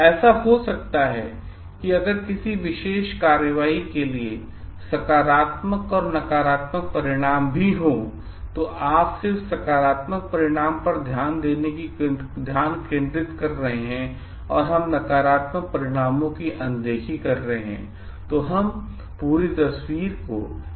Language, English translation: Hindi, So, it may so happen if you just focusing on the positive outcome and we are ignoring the negative outcome of our action, we may not be seeing the whole picture together